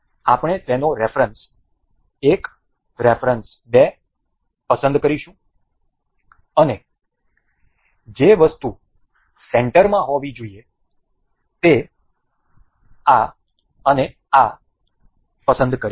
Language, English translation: Gujarati, We will select its reference 1 reference 2 and the item that has to be in the center say this one and this